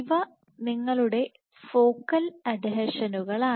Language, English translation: Malayalam, So, these are your focal adhesions